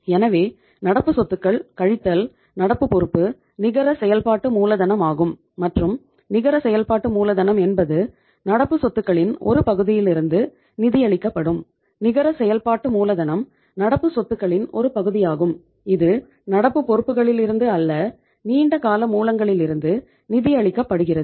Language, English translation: Tamil, So current assets minus current liability is the net working capital and net working capital is that part of the current assets which will be financed from the, current assets is that part of the, net working capital is that part of the current assets which will be financed from the long term sources, not from the current liabilities